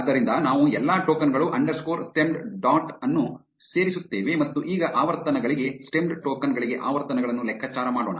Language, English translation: Kannada, So, we say all tokens underscore stemmed dot append stemmed underscore token and now for the frequencies, let us calculate the frequencies for the stemmed tokens